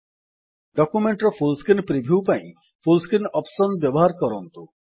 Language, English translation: Odia, Use the Full Screenoption to get a full screen view of the document